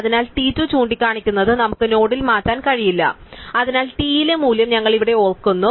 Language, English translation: Malayalam, So, it is we cannot change in the node that t is pointing 2, so we remember the value at t we remember the value here